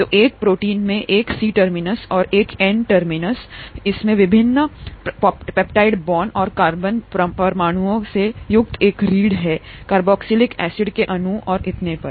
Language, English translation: Hindi, So a protein has a C terminus and an N terminus, it has a backbone consisting of the various peptide bonds and carbon atoms, carboxylic acid molecules and so on